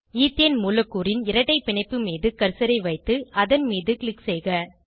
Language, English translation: Tamil, Place the cursor on the double bond in the Ethene molecule and click on it